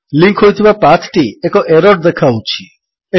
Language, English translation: Odia, The linked path shows an error